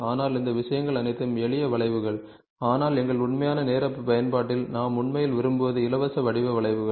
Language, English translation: Tamil, But all these things are simple curves, but what we really want in our real time usage is free form curves